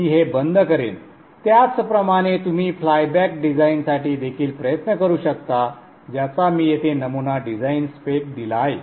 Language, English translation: Marathi, Likewise, you can also try to do it for the flyback design, which I have given a sample design spec here